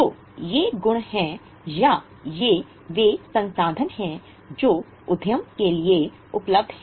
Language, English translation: Hindi, So, these are the properties or these are the resources which are available with the enterprise